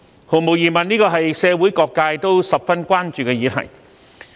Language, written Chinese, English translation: Cantonese, 毫無疑問，社會各界都十分關注這項議題。, There is no doubt that various sectors of the community are very much concerned about this subject